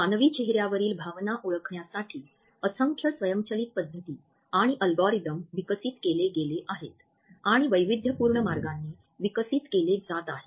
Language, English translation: Marathi, Numerous methods and algorithms for automatically recognizing emotions from human faces have been developed and they are still being developed in diversified ways